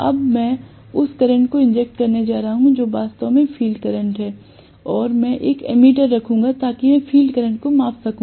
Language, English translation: Hindi, Now, I am going to inject the current which is actually the field current and I will put an ammeter so that I will be able to measure the field current